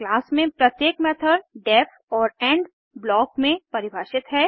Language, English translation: Hindi, Each method in a class is defined within the def and end block